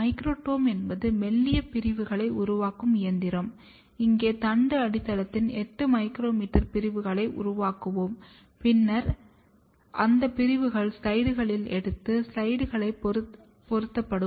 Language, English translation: Tamil, Microtome is the machine which makes thin sections, here we will be making 8 micrometer sections of the stem base and then those sections will be taken on the slides and fixed to the slides